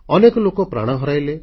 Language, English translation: Odia, Many people lost their lives